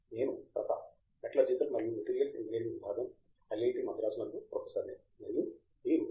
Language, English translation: Telugu, I am Prathap, I am a professor in the Department of Metallurgical and Materials Engineering at IIT Madras, and these are our panelist